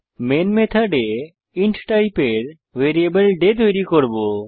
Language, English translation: Bengali, Inside the main method, we will create a variable day of type int